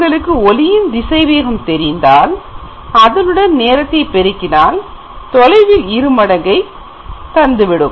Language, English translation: Tamil, If you can measure this time then you multiply with speed of light and then you get the twice of the distance